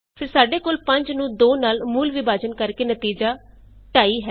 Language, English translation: Punjabi, then we have the real division of 5 by 2 is 2.5